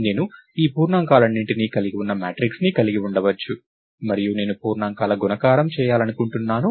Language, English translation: Telugu, I may have a matrix which contains all these integers and I want to do multiplication of integers and so, on